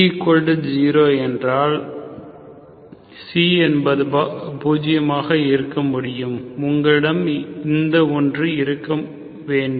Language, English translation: Tamil, If C is zero, C can be zero, okay, so you have this one